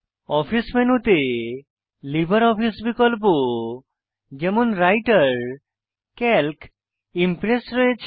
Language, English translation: Bengali, In this Office menu, we have LibreOffice options like Writer, Calc and Impress